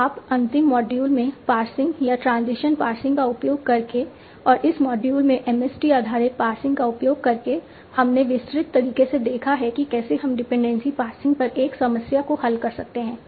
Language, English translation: Hindi, So in the last module of usingKega passing or transition based passing and this module of using MST based passing we have seen that how we can solve a problem dependency passing in a data diffant manner